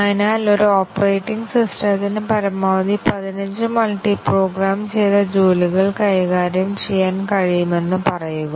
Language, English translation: Malayalam, So, let say an operating system can handle at most 15 multiprogrammed jobs